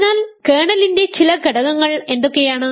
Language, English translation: Malayalam, So, what are some elements of the kernel